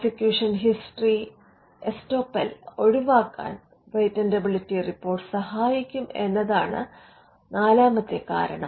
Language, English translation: Malayalam, The 4th reason could be a patentability report can help in avoiding what is called prosecution history estoppel